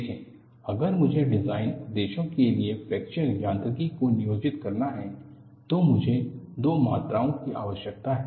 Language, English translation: Hindi, See, if I have to employ a fracture mechanics for design purposes, I need to have two quantities